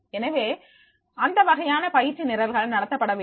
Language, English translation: Tamil, So, what type of the training programs will be there